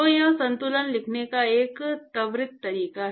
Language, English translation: Hindi, So, this is a quick way of writing the balance